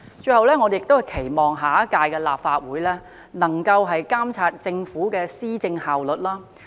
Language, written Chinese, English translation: Cantonese, 最後，我期望下屆立法會能夠監察政府的施政效率。, Lastly I hope that the next Legislative Council will be able to monitor the efficiency of the Governments policy implementation